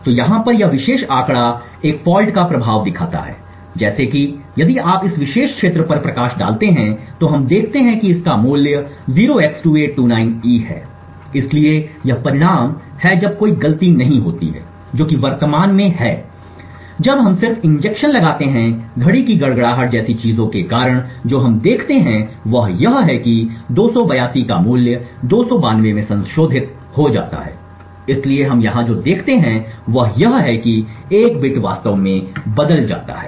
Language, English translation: Hindi, So this particular figure over here shows the effect of a fault so as we if you highlight on this particular area we see that it has a value of 0x2829E so this is the result when there is no fault which is when present now if we just inject a fault due to things like a clock glitching what we see is that this value of 282 gets modified to 292 so what we observe here is that one bit has actually toggled